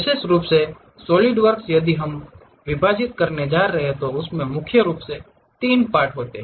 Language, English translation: Hindi, Especially, the Solidworks, if we are going to divide it consists of mainly 3 parts